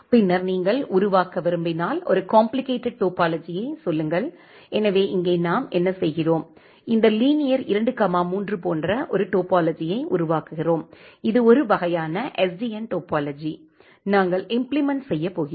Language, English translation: Tamil, And then if you want to create say a complicated topology, so, here what we are doing that we are creating a topology like this linear 2, 3 and this is a kind of SDN topology that we are going to implement